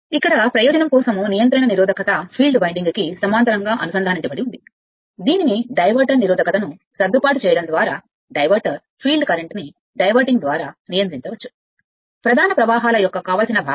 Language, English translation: Telugu, Here the regulating resistance for the purpose is connected in parallel with the field winding, this is known as diverter by adjusting the diverter resistance, the field current can be regulated by diverting, the desired fraction of the main currents